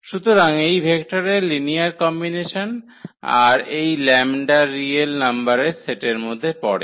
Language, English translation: Bengali, So, this the linear combination of the vectors and this lambda belongs to the set of real number